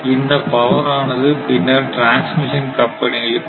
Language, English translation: Tamil, And this power will come to that transmission companies